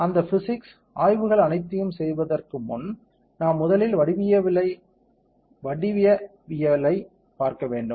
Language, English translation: Tamil, Before we do all those physical studies, we have to first see the geometry right we have to make the geometry